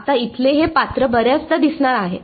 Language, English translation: Marathi, Now, this character over here is going to appear many times